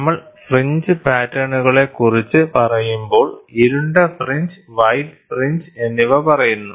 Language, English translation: Malayalam, So, when we talk about fringe patterns, we say dark fringe white fringe